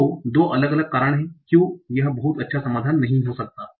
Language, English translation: Hindi, So, there are two different reasons why this may not be very good solution